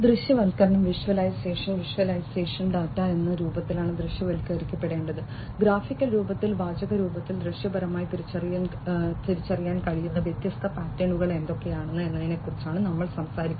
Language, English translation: Malayalam, Visualization: visualization we are talking about in what form the data will have to be visualized, in graphical form, in textual form, what are the different patterns that can be visually identified